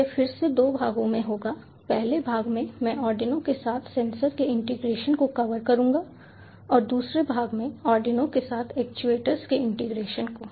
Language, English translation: Hindi, in the first part i will cover integration of sensors with arduino and in the second part, integration of actuators with arduino